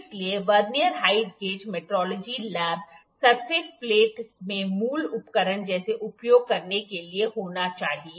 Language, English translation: Hindi, So, the basic instrument the basic tool in metrology lab surface plate has to be there to use Vernier height gauge